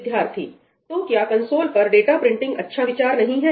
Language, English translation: Hindi, So, data printing on the console is not a good idea